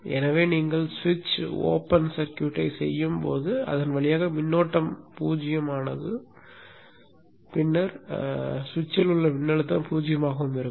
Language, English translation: Tamil, So when you make the switch open circuit, the current through that is zero and then also the power dissipation across the switch is zero